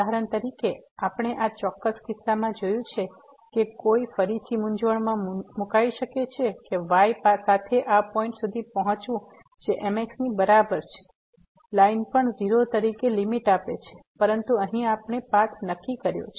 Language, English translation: Gujarati, For example, we have seen in this particular case, one might again get confused that approaching to this point along is equal to line will also give limit as 0, but here we have fixed the path